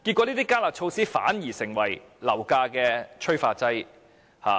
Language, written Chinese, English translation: Cantonese, 這些"加辣"措施反而變成樓價的催化劑。, The enhanced curb measure on the contrary became a catalyst for the rise in property prices